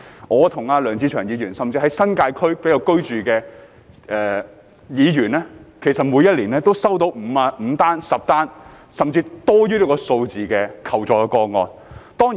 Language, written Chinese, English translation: Cantonese, 我和梁志祥議員，甚至在新界區居住的議員，每年都收到5宗、10宗，甚至更多的求助個案。, Mr LEUNG Che - cheung and I and even Members living in the New Territories receive five ten or more requests for assistance every year